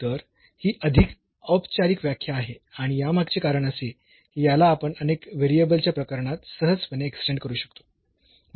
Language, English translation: Marathi, So, this is more formal definition and the reason behind this we will we can easily extend it to the case of several variable